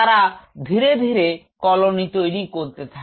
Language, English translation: Bengali, They are slowly form in a colony